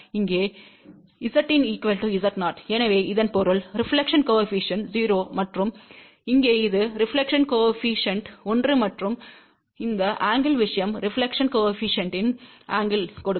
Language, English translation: Tamil, Z in equal to Z 0 here, so that means, reflection coefficient is 0 and this when here is reflection coefficient 1 and this angular thing will give the angle of the reflection coefficient